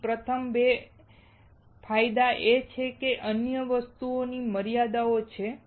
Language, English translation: Gujarati, So, first 2 are the advantages other things are the limitations